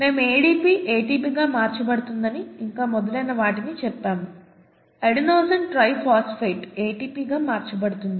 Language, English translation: Telugu, And we said ADP getting converted to ATP and so on so forth, adenosine diphosphate getting converted to ATP